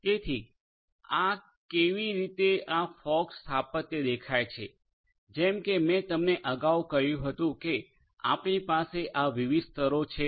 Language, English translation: Gujarati, So, this is how this fog architecture looks like, as I told you earlier we have these different layers